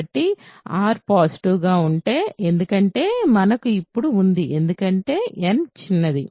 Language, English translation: Telugu, So, if r is positive, because with we have then, because n is the smallest